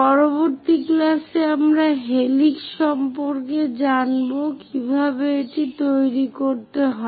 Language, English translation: Bengali, In the next class, we will learn about helix how to construct that